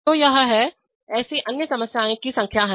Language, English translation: Hindi, So this is, there are n number of such other problems